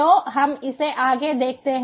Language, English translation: Hindi, so us let us look at it further